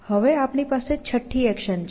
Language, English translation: Gujarati, Now, we have the sixth action coming out